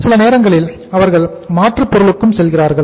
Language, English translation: Tamil, Sometime they go to the alternatives